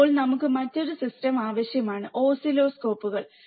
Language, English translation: Malayalam, So now, we need another system which is oscilloscopes